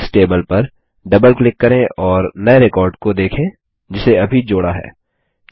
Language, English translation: Hindi, Let us double click on the Books table and look for the new record we just inserted